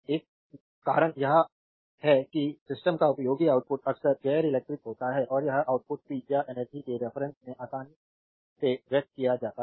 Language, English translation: Hindi, One reason is that useful output of the system often is non electrical and this output is conveniently expressed in terms of power and energy